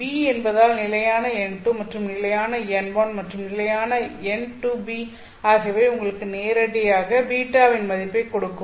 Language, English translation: Tamil, Since B is, you know, for fixed N2, fixed N1 and fixed N2, B is directly giving you the value of beta